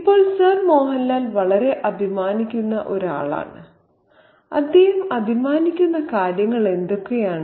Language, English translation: Malayalam, Now Sir Mohan Lal is a man who is very, very proud and what are the things that he is proud of